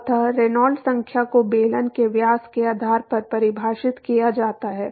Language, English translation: Hindi, So, Reynolds number is defined based on the diameter of the cylinder